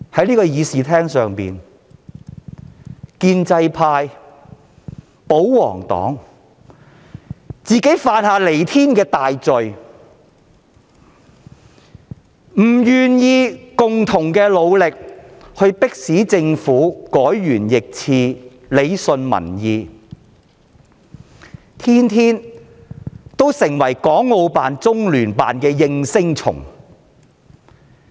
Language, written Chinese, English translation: Cantonese, 在會議廳內，建制派、保皇黨犯下彌天大罪，拒絕與我們聯手，迫使政府改弦易轍，順應民意，反而每天充當港澳辦和中聯辦的"應聲蟲"。, The pro - establishment camp and royalist parties have committed heinous crimes in the Chamber as they have refused to join hands with us to pressurize the Government into changing its mind in line with public aspirations . Instead they have been echoing the words of HKMAO and LOCPG every day